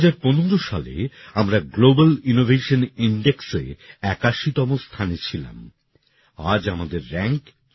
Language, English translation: Bengali, In 2015 we were ranked 81st in the Global Innovation Index today our rank is 40th